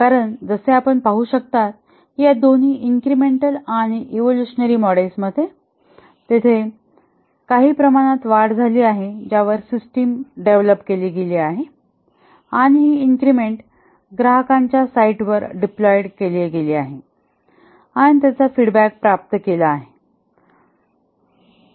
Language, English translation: Marathi, Because as I can see that in both these models incremental and evolutionary, there are small increments over which the system is developed and these increments are deployed at the customer site and feedback obtained